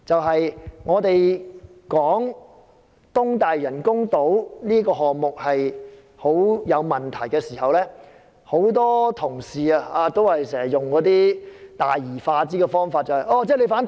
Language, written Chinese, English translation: Cantonese, 當我們指出東大嶼人工島這個項目極有問題時，很多同事都用大而化之的方法，指責我們反對填海。, When we point out the serious problems of the East Lantau artificial islands many colleagues try to casually dismiss them accusing us of opposing reclamation works